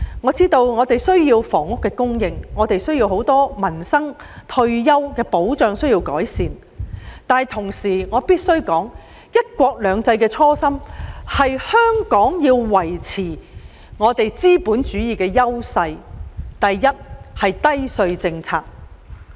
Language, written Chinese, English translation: Cantonese, 我知道大家需要房屋供應，也有很多民生和退休保障問題需要改善，但我同時必須指出，"一國兩制"的初心是香港必須維持資本主義的優勢，第一是維持低稅政策。, I understand that many people are in dire need of housing and there is also the need to improve many livelihood and retirement protection problems but I must point out at the same time that according to the original aspiration of one country two systems Hong Kong should continue to maintain the advantages of capitalism and the first and foremost criterion in this respect is to maintain a low tax policy